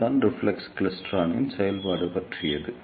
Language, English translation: Tamil, So, this is how the reflex klystron works